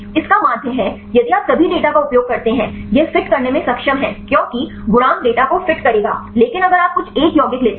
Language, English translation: Hindi, That means, if you use all the data; it is able to fit because the coefficients will fit the data, but if you take some of the one compound